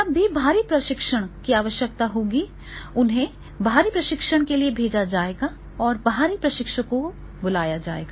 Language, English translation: Hindi, And external training whenever is required and then employees either they will call they will be sent to the external trainings or the external trainers will be called